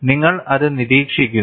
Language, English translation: Malayalam, And you observe it